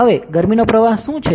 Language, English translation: Gujarati, Now, what is the heat flux